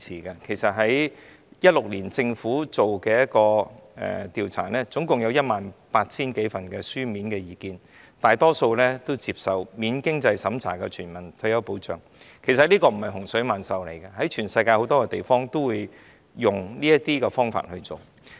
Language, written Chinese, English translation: Cantonese, 政府在2016年進行的調查，合共收到 18,000 多份意見書，大多數都接受免經濟審查的全民退保，其實這並非洪水猛獸，全球很多地方均採用這種方法來處理。, This survey by the Government in 2016 received more than 18 000 written submissions most of which accepted a non - means - tested universal retirement protection system―not a scourge but is adopted in many places around the world as a way to handle retirement